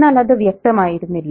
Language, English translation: Malayalam, Again, it's not very definite